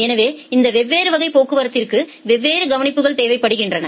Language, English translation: Tamil, So, these different classes of traffic require different treatments